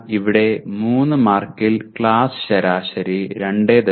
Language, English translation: Malayalam, But here out of 3 marks the class average is 2